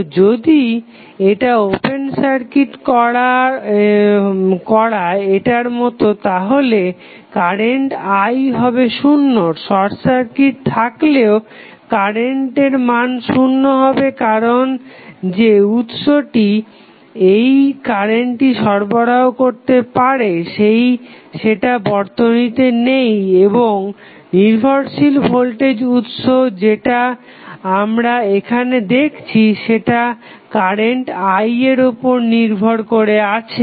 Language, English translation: Bengali, So, if it is open circuited like in this case, the current I would be 0, even if it is short circuited current would still be 0 because the source which can supply this current is not available in the circuit and this dependent voltage source which we see here depends upon the value of current I